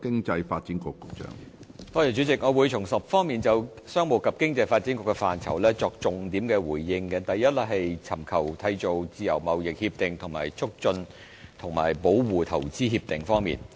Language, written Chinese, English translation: Cantonese, 主席，我會從10方面就商務及經濟發展局的範疇作重點回應：第一，是尋求締結自由貿易協定及促進和保護投資協定方面。, President in my reply I will express the salient points on 10 aspects of work under the purview of the Commerce and Economic Development Bureau . First it is about our work on concluding Free Trade Agreements FTAs as well as Investment Promotion and Protection Agreements IPPAs